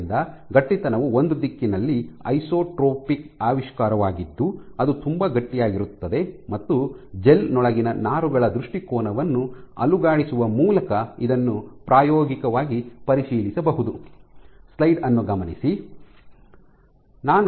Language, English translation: Kannada, So, an isotropic thus stiffness is an isotropic invention in one direction it is very stiff and it can be experimentally probed by shaking the orientation of fibers within a gel